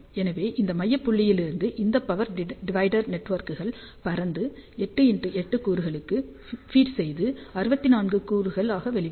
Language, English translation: Tamil, So, we can see that from this central point all these power divider networks are spreading and feeding all the 8 by 8 elements which comes out to be 64 element